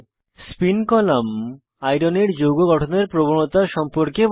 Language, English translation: Bengali, Spin column gives idea about complex formation tendency of Iron